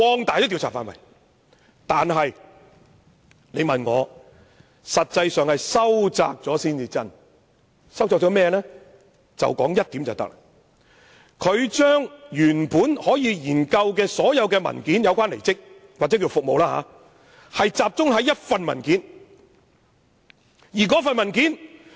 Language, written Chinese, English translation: Cantonese, 但是，我認為實際是收窄了調查範圍，他把調查範圍由原本可研究所有有關離職協議或服務協議的文件，改為只集中研究一份文件。, I believe however that the actual scope of inquiry would be narrowed for he proposed to change the examination of all papers pertaining to the resignation agreement or service agreement to the examination of merely one paper